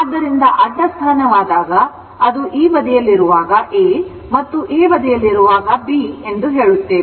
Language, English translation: Kannada, Suppose, this is your what you call this side is A and this side is B